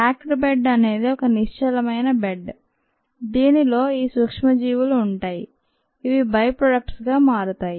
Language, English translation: Telugu, the packed bed is just a packed bed, is a stationary bed ah, which contains is organisms which convert the reactance to the products